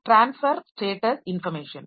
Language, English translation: Tamil, Then transfer status information